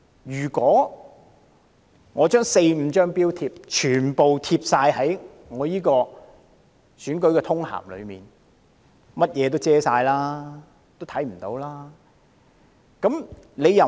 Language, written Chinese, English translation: Cantonese, 如果把四五張標貼全部貼在選舉通函上，便會遮蓋所有內容。, Affixing the four or five labels all on the election circular will cover up the contents entirely